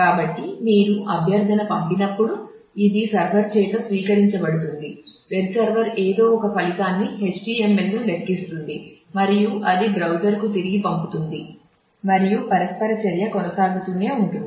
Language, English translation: Telugu, So, when you send a request this is received by the server; web server somehow computes a result HTML and that send back to the browser and that is how the interaction keeps on happening